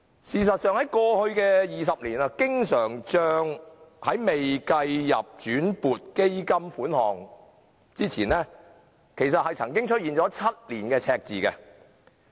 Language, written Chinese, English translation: Cantonese, 事實上，在過去的20年，經常帳在未計入轉撥基金款項內之前，曾經出現7年赤字。, As a matter of fact in the past 20 years before the transfer of other funds to it the current account recorded deficits for seven years